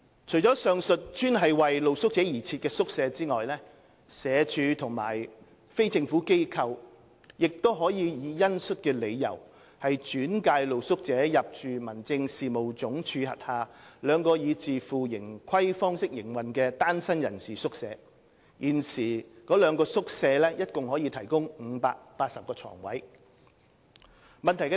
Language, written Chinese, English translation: Cantonese, 除了上述專為露宿者而設的宿舍外，社署或非政府機構亦可以恩恤理由轉介露宿者入住民政事務總署轄下兩個以自負盈虧方式營運的單身人士宿舍，現時該兩個宿舍共可提供580個床位。, In addition to making use of the above mentioned dedicated hostels for accommodating street sleepers SWD and NGOs may also on compassionate grounds refer street sleepers for admission to the two self - financing singleton hostels under HAD which altogether provide a total of 580 places